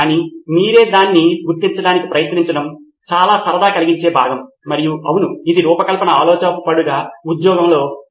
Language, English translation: Telugu, But trying to figure it out yourself is part of the fun and yes it is also part of a job as a design thinker